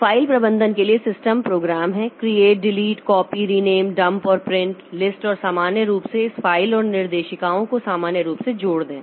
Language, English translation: Hindi, So, system programs for file management like this create, delete, copy, rename, print, dump, list and generically manipulate these files and directories